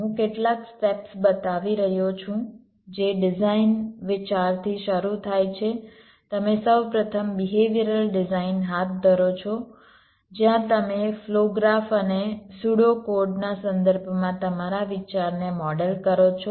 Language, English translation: Gujarati, i am showing some steps which, starting from a design idea, you first carry out behavioral design, where you model your idea in terms of flow graphs and pseudo codes